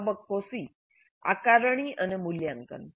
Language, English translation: Gujarati, Then phase C is assessment and evaluation